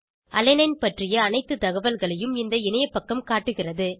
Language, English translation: Tamil, Webpage shows all the details about Alanine